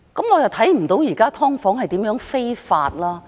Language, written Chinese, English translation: Cantonese, 我看不到現時的"劏房"如何非法。, I do not see how legal the current subdivided units are